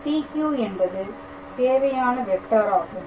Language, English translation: Tamil, So, what is the vector